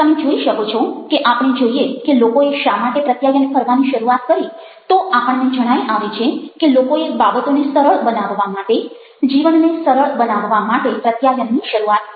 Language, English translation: Gujarati, you see that if we start looking at why people started to communicate, then we find that people started communicating to make things easier, to make life easier